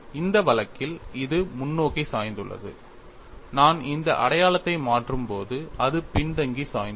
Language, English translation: Tamil, In this case it is forward tilted when I just change this sign it is backward tilted